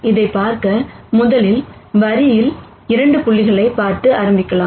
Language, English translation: Tamil, To see that, let us first start by looking at 2 points on the line